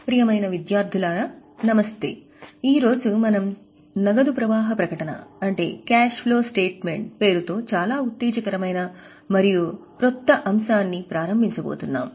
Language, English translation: Telugu, Dear students, Namaste, today we are going to start one very exciting and new topic that is titled as Cash Flow Statement